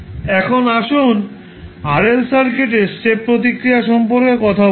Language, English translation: Bengali, Now, let us talk about step response for a RL circuit